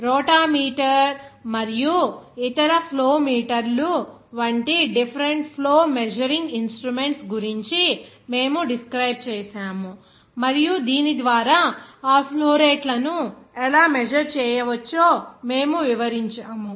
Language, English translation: Telugu, I think we have described that different flow measuring instruments like that rotameter and also other flow meters are there that we have described and by which you can calculate how to measure that flow rates